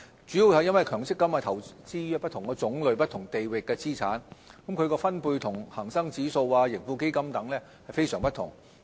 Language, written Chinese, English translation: Cantonese, 主要是因為強積金投資於不同種類及不同地域的資產，它的分配與恆生指數、盈富基金等非常不同。, The main reason is that MPF investments actually cover many different kinds of assets in different places and their constituents are markedly different from those of the Hang Seng Index and the Tracker Fund